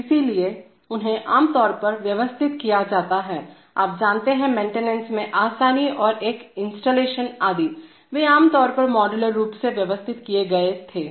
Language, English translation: Hindi, So they are typically arranged for, you know, ease of maintenance and an installation etc, they were typically arranged modularly